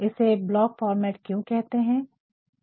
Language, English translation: Hindi, So, this is about full block format